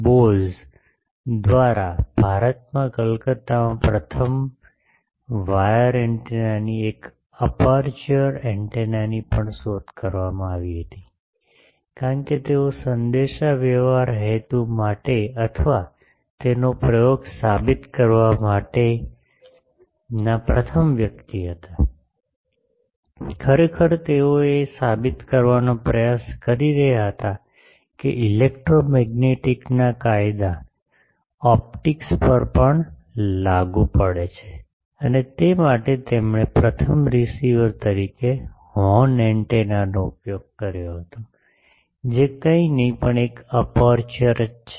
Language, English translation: Gujarati, Actually the one of the first wire antenna a aperture antennas were also invented in Calcutta in India by sir J C Bose, because he was the first to use for communication purposes or to prove his experiment, actually he was trying to prove that the laws of electromagnetics also apply to optics and for that he first used as a receiver a horn antenna, which is nothing, but an aperture